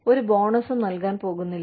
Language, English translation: Malayalam, We are not going to give, any bonuses